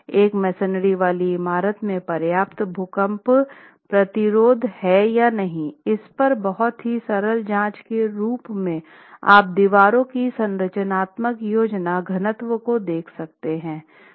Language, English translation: Hindi, As a very simple check on whether a masonry building has adequate earthquake resistance or not, the structural plan density of walls is something that we check